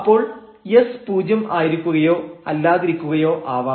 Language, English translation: Malayalam, So, suppose this s is not equal to 0 then what do we get here